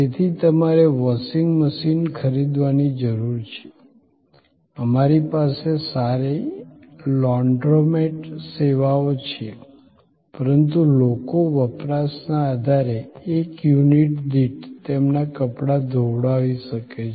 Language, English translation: Gujarati, So, you need buy a washing machine, we can have a good organize Laundromat services, but people can get their close done washed on per unit of usage basis